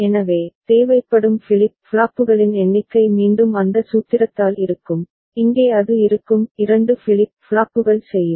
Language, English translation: Tamil, So, number of flip flops required will be again by that formula, here it will be 2 flip flops will do